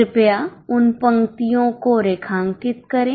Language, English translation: Hindi, Please underline those lines